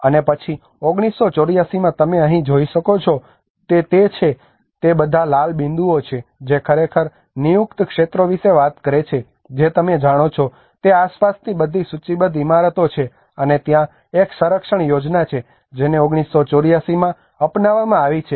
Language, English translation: Gujarati, And then in 1984 what you can see here is like it is all the red dots which are actually talking about the designated areas you know they are all the listed buildings around, and there is a conservation plan which has been adopted in 1984